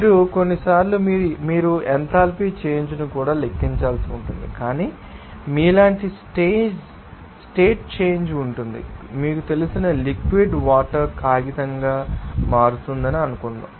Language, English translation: Telugu, You also have to sometimes calculate the enthalpy change when you but there will be a change of state like you know that suppose liquid water is you know are becoming into paper